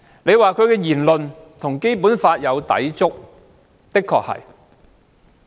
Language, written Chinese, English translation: Cantonese, 如果說他的言論與《基本法》有抵觸，這的確是事實。, If you say that his remarks are inconsistent with the Basic Law this is indeed a fact